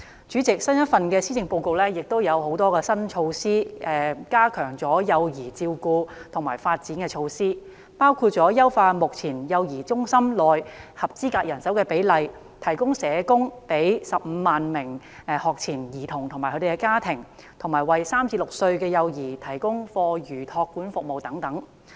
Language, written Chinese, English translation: Cantonese, 主席，新一份施政報告有很多加強幼兒照顧及發展的新措施，包括優化目前幼兒中心合資格人手比例、為15萬名學前兒童及其家庭提供社工服務，以及為3至6歲幼兒提供課餘託管服務等。, President the new Policy Address unveils many new measures to strengthen child care and development including the enhancement of manning ratios for qualified child care workers serving in child care centres the provision of social work services to 150 000 pre - school children and their families the provision of after school care services for children aged three to six and so on